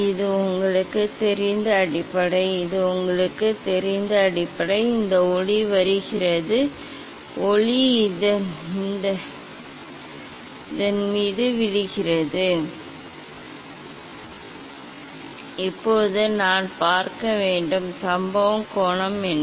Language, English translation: Tamil, this is the base you know; this is the base you know; this light is coming, light is coming falling on this, Now, I have to see I have; what is the incident angle